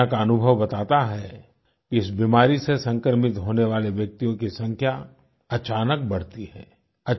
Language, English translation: Hindi, The world's experience tells us that in this illness, the number of patients infected with it suddenly grows exponentially